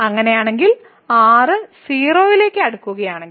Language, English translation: Malayalam, In that case if approaches to 0